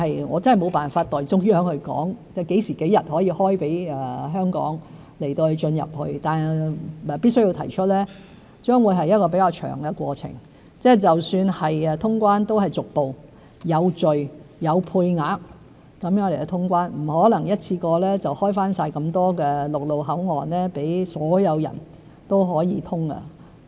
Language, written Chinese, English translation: Cantonese, 我真的沒辦法代中央說何時、何日可開放內地給香港市民，但必須指出這將會是比較長的過程，即使能夠通關都是逐步、有序、有配額下通關，不可能一次過開放全部陸路口岸予所有人。, I really cannot say on behalf of the Central Authorities when they will open the Mainland border to Hong Kong people; however I must point out that this will be a relatively long process and even if quarantine - free travel can be resumed it will be done in a gradual orderly and quota - based manner as it is not possible to open all land boundary control points to everyone in one go